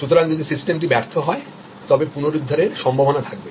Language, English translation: Bengali, So, if the system fails then will there be a possibility to recover